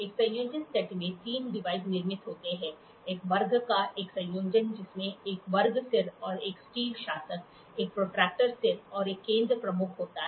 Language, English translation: Hindi, A combination set has three devices built into it; a combination of a square comprising a square head and a steel ruler, a protractor head and a centre head